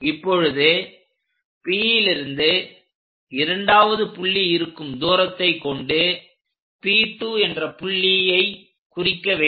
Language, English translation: Tamil, Now, use distance P all the way to second point whatever the distance locate it on that point